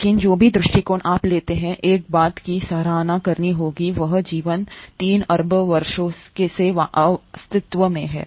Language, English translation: Hindi, But whatever the approach you take, one has to appreciate one thing and that is life has been in existence for 3 billion years